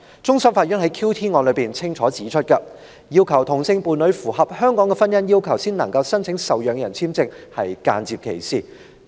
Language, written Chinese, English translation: Cantonese, 終審法院在 QT 案中清楚指出，要求同性伴侶符合香港的婚姻要求才能申請受養人簽證是間接歧視。, It is clearly stated by the Court of Final Appeal in respect of the QT case that requiring the sponsors same - sex partner to fulfil the requirements of marriage in Hong Kong so as to be eligible to apply for a dependent visa is a form of indirect discrimination